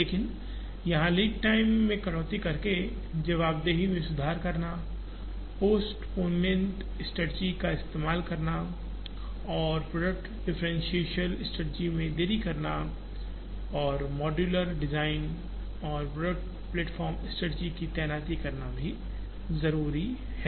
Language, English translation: Hindi, But, what is also needed here is, improve responsiveness by cutting down lead times, use postponement strategies and delayed product differentiation strategies and deploy modular design and product platform strategies